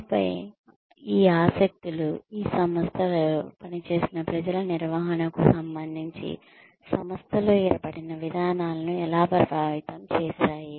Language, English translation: Telugu, And then, how these interests led to influence the policies, that were formed in the organization, regarding the management of the people, who were working in these organizations